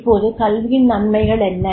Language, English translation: Tamil, Now, what is education